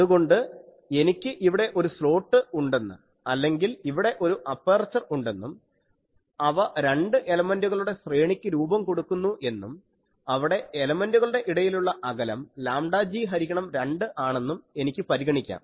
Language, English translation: Malayalam, So, I can consider that I have a slot here I or I have an aperture here, I have an aperture here and they are forming a two element array where the inter element separation is lambda g by 2